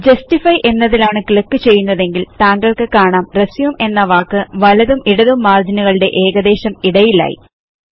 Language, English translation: Malayalam, If we click on Justify, you will see that the word RESUME is now aligned such that the text is uniformly placed between the right and left margins of the page